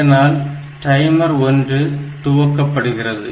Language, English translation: Tamil, So, this will be starting the timer 1